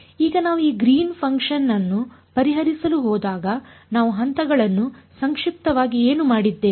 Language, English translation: Kannada, Now when we went to solve for this Green’s function, what did we do the steps briefly